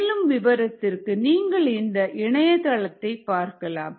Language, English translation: Tamil, for more information, you could look at this website